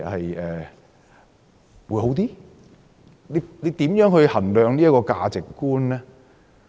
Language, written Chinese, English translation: Cantonese, 如何衡量這個價值觀呢？, How do we assess the values? . Face mask tests are another example